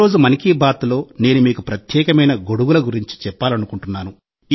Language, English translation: Telugu, Today in ‘Mann Ki Baat’, I want to tell you about a special kind of umbrella